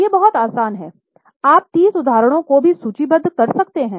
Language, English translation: Hindi, As I said, you can even list 30 examples